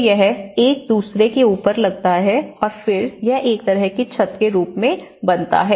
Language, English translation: Hindi, So, it couples one over the another and then it forms as a kind of roof